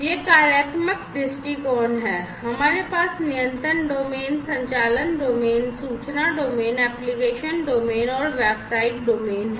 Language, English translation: Hindi, So, this is the functional viewpoint we have the control domain, operations domain, information domain, application domain, and the business domain